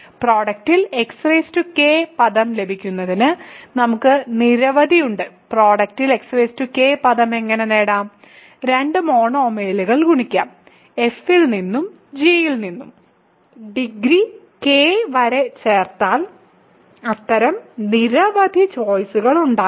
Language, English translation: Malayalam, In order to get x power k term in the product, we have several, we have how to get x power k term in the product, we can multiply two monomials in f one in; f one in g whose degrees add up to k there might be several such choices